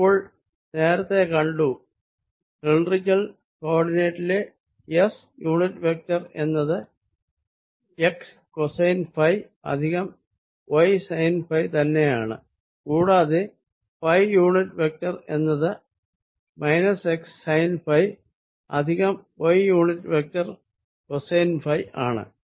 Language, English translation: Malayalam, now we have already seen that s unit vector in cylindrical coordinates is nothing but x, cosine phi plus y sine phi and phi unit vector is equal to minus x sine phi plus y unit vector cosine phi, and therefore i can write x unit vector as s cos phi minus phi unit vector sine phi